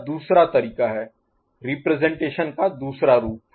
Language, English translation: Hindi, This is the other way, other form of representation